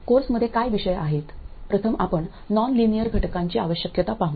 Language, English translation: Marathi, First we will look at the need for nonlinear elements